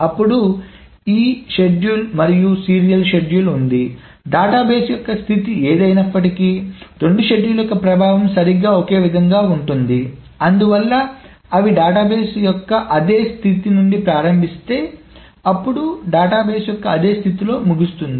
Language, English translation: Telugu, Then there is this schedule and the serial schedule, the effect of both of these schedules is exactly the same, no matter what the state of the databases, if they start from the same state of the database, then they end up in the same state of the database